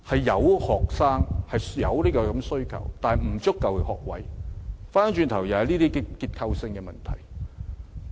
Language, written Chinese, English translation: Cantonese, 有學生、有需求，但沒有足夠學位，這是結構性問題。, If there are students and demands but there is a shortage of places then it is a structural problem